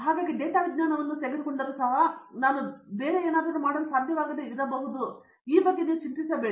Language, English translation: Kannada, So, that worry that if I take data sciences I may not able to do anything else is all unfound